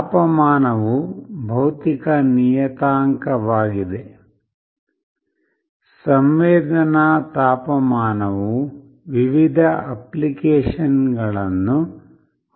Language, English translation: Kannada, Temperature is a physical parameter; sensing temperature has various applications